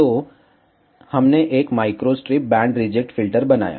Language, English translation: Hindi, So, we made a microstrip band reject filter